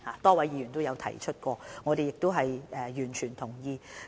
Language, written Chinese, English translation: Cantonese, 多位議員亦有提及這點，我們亦完全同意。, A number of Members has also mentioned this point and I fully agree with them